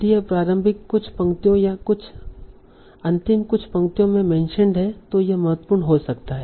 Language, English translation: Hindi, So if it is mentioned in the initial few lines or the last few lines, it might be important